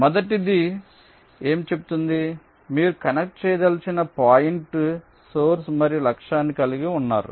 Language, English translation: Telugu, the first one says: so you have a pair of points source and target which you want to connect